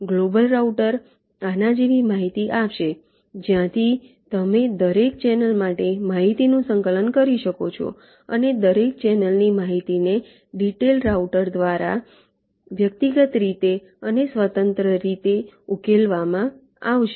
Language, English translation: Gujarati, the global router will give information like this, from where you can compile information for every channel and the information from every channel will be solved in individually and independently by the detailed router